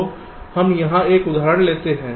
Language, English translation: Hindi, so lets take an example here